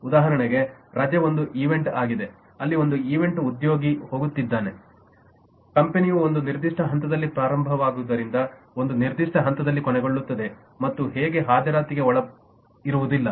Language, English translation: Kannada, for example, leave is an event, is an event where an employee is going, will be absent from attendance in the company as it starts at a certain point, ends at a certain point, and so on